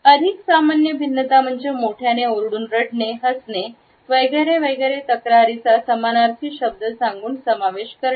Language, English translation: Marathi, The more common differentiators include whispering the loud voice crying, laughing, complaining etcetera with various synonyms